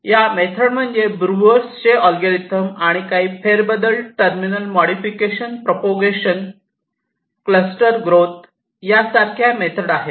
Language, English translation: Marathi, there are methods like breuers algorithm and some modification, terminal propagation, and there are some other methods also: cluster growth, force directed also